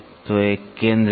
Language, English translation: Hindi, So, there is a centre